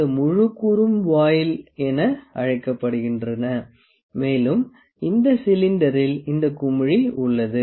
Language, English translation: Tamil, This whole component is known as voile; the cylinder in which we have this bubble